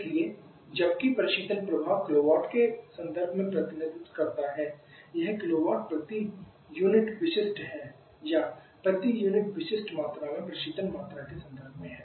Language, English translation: Hindi, So while the reflection effect is represent in terms of kilowatt, this is kilowatt volume it specific volume or terms of refrigeration per unit specific volume